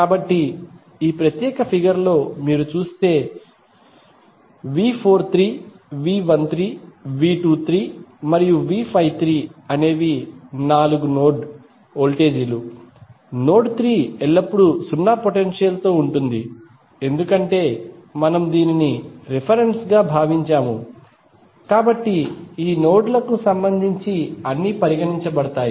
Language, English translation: Telugu, So, if you see in this particular figure V 43, V 13, V 23 and V 53 are the four node voltages, node 3 will always be at zero potential because we considered it as a reference, so with respect to this node all would be considered